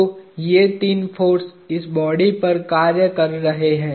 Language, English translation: Hindi, So, these are the three forces acting on this body